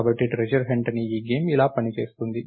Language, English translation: Telugu, So, this is how this game called treasure hunt works